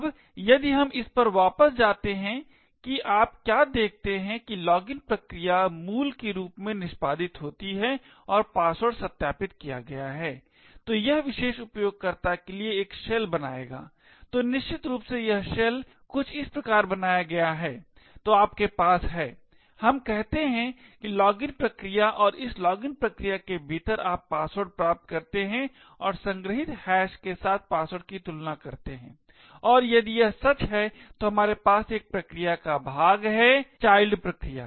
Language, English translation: Hindi, Now if we go back to this what you see is that the login process executes as root and was the password is verified it will then create a shell for that particular user, so essentially this shell is created something as follows, so you would have let us say the login process and within this login process you obtain the password and compare the password with the stored hash and if this is true, then we fork a process, the child process